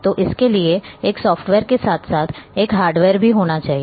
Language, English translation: Hindi, So, it has to have a software as well as a hardware